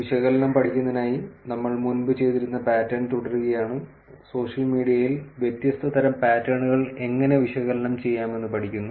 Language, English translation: Malayalam, So, what we will do now is continuing the pattern that we have been doing for studying the analysis, studying how different kinds of patterns can be analyzed on social media